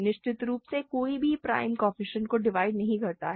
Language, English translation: Hindi, So, certainly no prime divides the coefficients